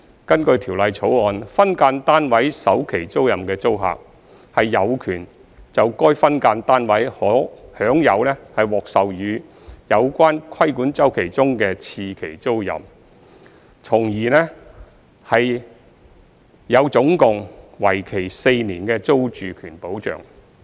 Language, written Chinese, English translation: Cantonese, 根據《條例草案》，分間單位首期租賃的租客，有權就該分間單位享有獲授予有關規管周期中的次期租賃，從而有總共為期4年的租住權保障。, The Bill provides that a tenant of a first term tenancy for an SDU is entitled to a second term tenancy of the relevant regulated cycle for the SDU thus enjoying a total of four years of security of tenure